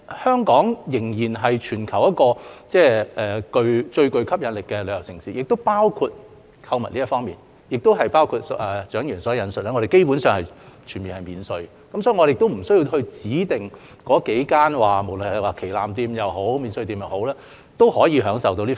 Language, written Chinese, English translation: Cantonese, 香港仍然是全球最具吸引力的旅遊城市之一，在購物方面，正如蔣議員所述，香港基本上全面免稅，無須指定在那幾間旗艦店或免稅店購物方能免稅。, At present Hong Kong is still one of the most appealing tourist destinations in the world and shopping in Hong Kong as mentioned by Dr CHIANG is basically duty - free so that tourists do not have to shop at designated flagship stores or duty - free shops to enjoy duty - free shopping